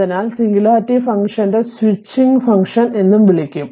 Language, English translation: Malayalam, So, singularity function are also called the switching function right